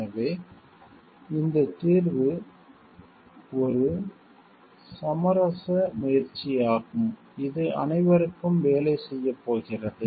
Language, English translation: Tamil, So, this solution is an attempt at some kind of compromise that is going to work for everyone